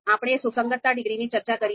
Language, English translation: Gujarati, So we have talked about the concordance degree